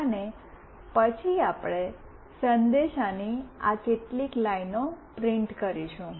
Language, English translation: Gujarati, And then we will print these few lines of message